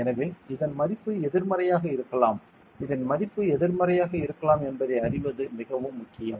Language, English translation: Tamil, So, very important to know that this value can be negative this value can be negative